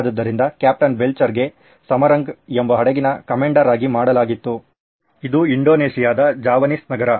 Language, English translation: Kannada, So Captain Belcher was given a command of a ship called Samarang, this is a Javanese city in Indonesia